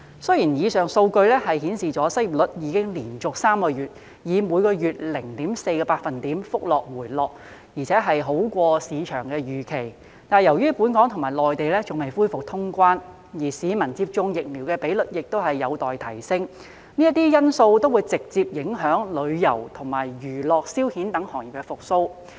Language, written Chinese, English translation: Cantonese, 雖然以上數據顯示出失業率已連續3個月以每月 0.4 個百分點的幅度回落，而且好過市場預期，但由於本港與內地仍未恢復通關，而市民接種疫苗的比率亦有待提升，這些因素都會直接影響旅遊及娛樂消遣等行業的復蘇。, Although these figures show that the unemployment rate has dropped by 0.4 percentage point per month for three consecutive months which is better than the market expectation given that the borders between Hong Kong and the Mainland have not yet reopened and the vaccination rate of the public has yet to be improved these factors will directly affect the recovery of such industries as tourism and entertainment